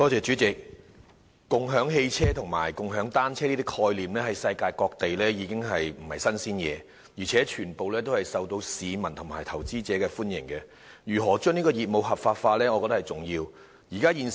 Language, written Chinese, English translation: Cantonese, 主席，共享汽車和共享單車等概念在世界各地都不是甚麼新鮮事物，而且廣受市民和投資者歡迎，我認為如何將業務合法化，是重要的一環。, President car - sharing and bike - sharing are actually no new ideas in other places of the world . And they are well - received by the public and investors . I therefore think that it is very important to find out how to legalize such businesses